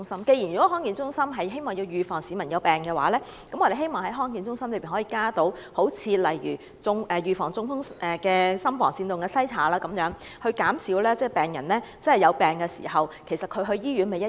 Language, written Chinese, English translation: Cantonese, 既然康健中心是為了預防市民患病，我們希望康健中心可以加入例如預防中風的心房顫動篩查這類服務，減少市民因患病到醫院求診的需要。, As DHC is set up for the prevention of diseases we hope that services such as atrial fibrillation screening which is for the prevention of stroke can be added to the array of services provided by DHC thereby reducing peoples need to seek medical attention in hospitals due to illnesses